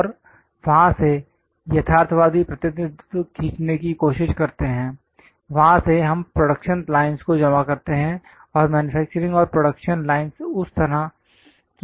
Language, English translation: Hindi, And from there try to draw the realistic representation; from there we submit to production lines; and manufacturing and production lines create that kind of objects